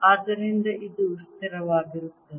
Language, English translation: Kannada, so this is consistent